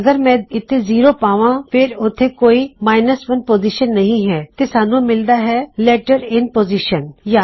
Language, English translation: Punjabi, So if I put zero here there is no position 1 so we get letter in position